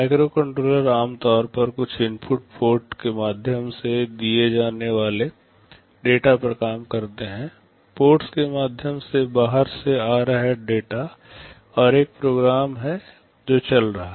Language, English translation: Hindi, Microcontrollers typically operate on data that are fed through some input ports; data coming from outside through the ports, and there is a program which is running